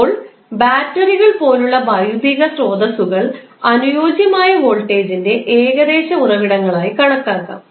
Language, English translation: Malayalam, Now, physical sources such as batteries maybe regarded as approximation to the ideal voltage sources